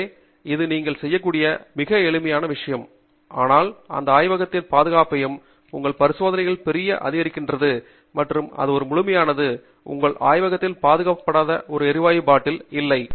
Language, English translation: Tamil, So, this is a very simple thing that you can do, but greatly enhances the safety of your laboratory and your experiment and it is an absolute must; you should not have a gas bottle which is not secured in your lab